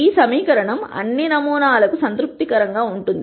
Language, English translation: Telugu, This equation seems to be satis ed for all samples